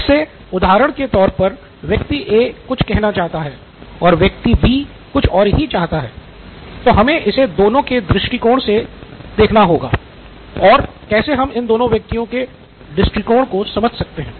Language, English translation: Hindi, So what is that person A wants something and person B wants something else, how do we look at this it from this perspective from this stand points from how do we understand both these stand points